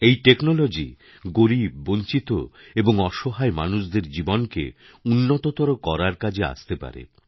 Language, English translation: Bengali, This technology can be harnessed to better the lives of the underprivileged, the marginalized and the needy